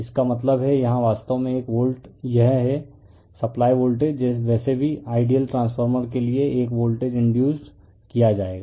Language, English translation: Hindi, That means, here a actually here a volt this is supply voltage anyway for the ideal transformer a voltage will be induced